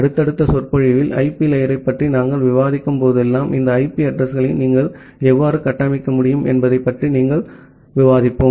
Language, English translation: Tamil, In the subsequent lecture, whenever we discuss about IP layer, we will discuss about how you can configure these IP addresses